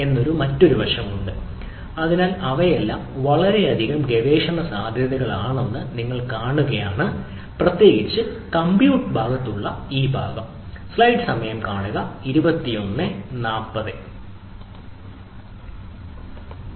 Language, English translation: Malayalam, so there are a lot of aspects and, if you see, these are all have lot of research potential, especially this part of the ah things on the compute side